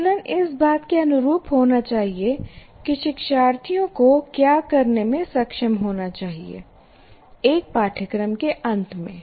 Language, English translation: Hindi, And when assessment is in alignment with the things they are supposed to be able to do at the end of a course